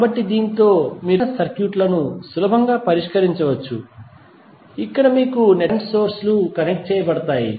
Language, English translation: Telugu, So, with this you can easily solve these kind of circuits, where you have current sources connected in the network